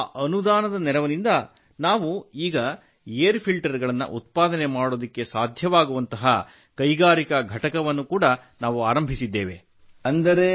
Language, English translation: Kannada, From there we got the grant and on the basis of that grant, we just started our factory where we can manufacture air filters